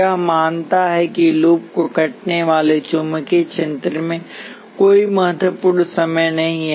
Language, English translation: Hindi, This assumes that there is no significant time varying magnetic field cutting the loop